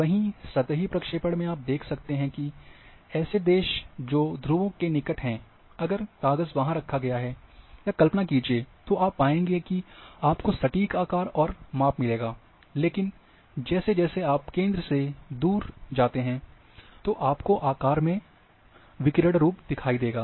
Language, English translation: Hindi, Where as in plane projection you can see that countries at the near poles, if the sheet has been kept there, or imagine, it has been imagined there then that will have true shape and size, but the countries as you go away from the centre, then you are having distortion